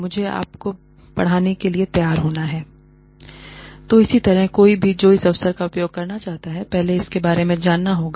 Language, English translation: Hindi, And, I have to be prepared and ready, to teach you So, similarly anyone, who wants to use this opportunity, has to first, know about it